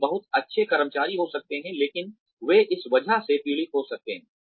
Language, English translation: Hindi, They may be very good employees, but they may end up suffering, because of this